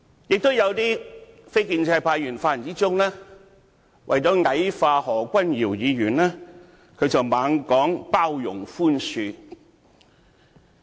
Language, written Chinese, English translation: Cantonese, 也有一些非建制派議員，在發言中為了矮化何君堯議員，不斷說要"包容和寬恕"。, Some non - establishment Members say continuously in their speech that we should tolerate and forgive in order to dwarf Dr Junius HO